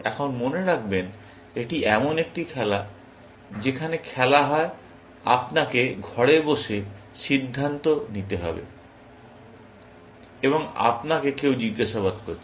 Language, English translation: Bengali, Now, remember that this is the game, which is played where, you have to decide sitting alone in the room, and you have been interrogated by somebody